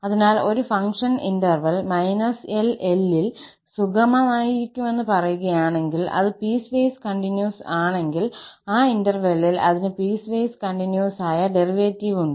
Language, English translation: Malayalam, So, a function is said to be piecewise smooth in interval minus L to L, if it is piecewise continuous and it has a piecewise continuous derivative in that interval